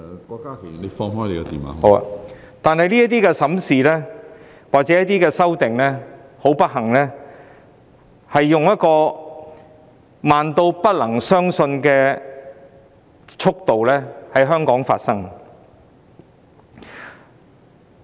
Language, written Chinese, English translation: Cantonese, 很不幸，這些審視或修訂工作是以慢得不能相信的速度在香港進行。, Unfortunately the progress of such review or amendment has been carried out in Hong Kong in an incredibly slow speed